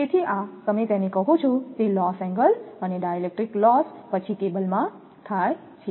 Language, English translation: Gujarati, So, this is what you call that loss angle and dielectric loss then happens in the cable